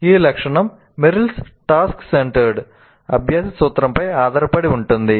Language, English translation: Telugu, This feature is based on Merrill's task centered principle of learning